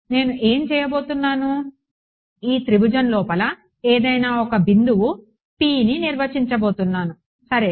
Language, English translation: Telugu, What I am going to do I am going to define some arbitrary point p inside this triangle ok